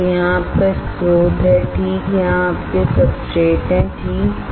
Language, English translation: Hindi, So, here is your source alright here are your substrates here are your substrates alright